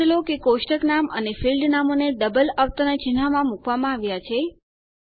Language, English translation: Gujarati, Notice that the table name and field names are enclosed in double quotes